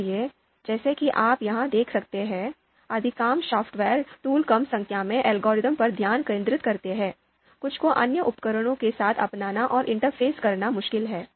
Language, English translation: Hindi, So as you can see here, most of the software tools focus on a small number of algorithms, some are difficult to adopt and interface with other tools